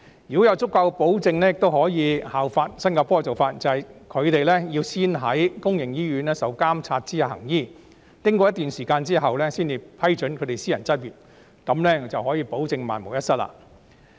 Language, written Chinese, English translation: Cantonese, 如果要有足夠保證，也可以效法新加坡的做法，即是海外醫生要先到公營醫院在監察下行醫，經過一段時間之後，才批准他們私人執業，這樣便可以保證萬無一失。, If we want to have sufficient assurance we can also follow the practice of Singapore that is overseas doctors have to practise medicine under supervision in public hospitals for a certain period of time before they are allowed to practise privately . This can assure that nothing will go wrong